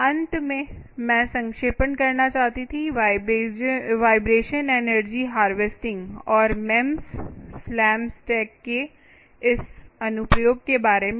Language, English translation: Hindi, finally, i wanted to summarize ah, the vibration, ah, energy harvesting and this thing about these, this application of this mems ah, hm slam stake